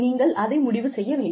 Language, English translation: Tamil, But, you have to decide that